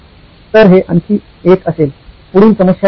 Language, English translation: Marathi, So that would be another, the next problem statement